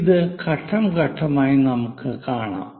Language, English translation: Malayalam, We will see that step by step